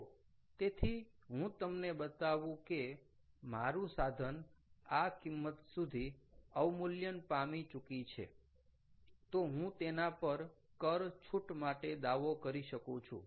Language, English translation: Gujarati, ok, so therefore, if i show that the, my equipment has depreciated by this value, i can claim a tax rebate on that